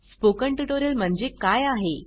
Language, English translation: Marathi, What is a Spoken Tutorial